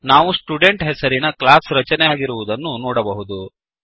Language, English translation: Kannada, We can see that the class named Student is created